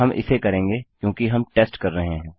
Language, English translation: Hindi, Well do it because were testing